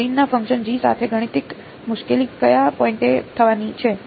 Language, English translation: Gujarati, So, the mathematical difficulty with this Green’s function G is going to happen at which point